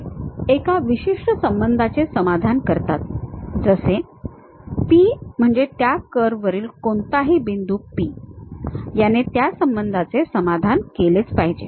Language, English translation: Marathi, They satisfy one particular relation, where your P any point p on that curve, supposed to satisfy this relation